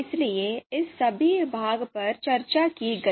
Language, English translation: Hindi, So all this part were discussed